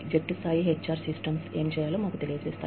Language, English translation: Telugu, Team level HR systems, have informed us, as to what, we need to do